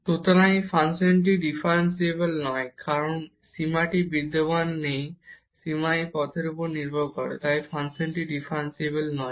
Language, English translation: Bengali, So, this function is not differentiable, because this limit does not exist the limit depend on this path, so the function is not differentiable